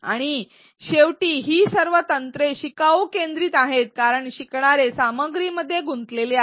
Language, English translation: Marathi, And, at the end all of these techniques are learner centric because learners are engaging with the content